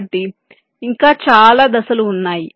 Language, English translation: Telugu, ok, so, and there are many other step